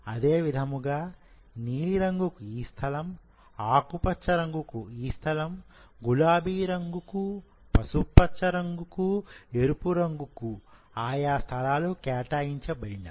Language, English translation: Telugu, So, for light blue this place is for light green this is reserved, for pink this is reserved, for yellow this part is reserved, for red this part is reserved